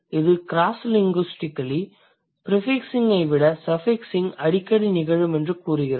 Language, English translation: Tamil, What it says cross linguistically suffixing is more frequent than prefixing